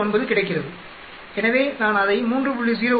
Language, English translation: Tamil, 09 so I put it as 3